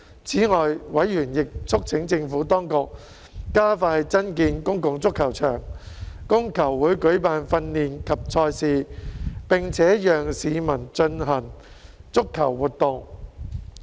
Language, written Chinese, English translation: Cantonese, 此外，委員亦促請政府當局加快增建公共足球場，供球會舉辦訓練及賽事，並且讓市民進行足球活動。, Furthermore members also urged the Administration to expedite the construction of public football venues for football clubs to hold training and matches and for the public to carry out football activities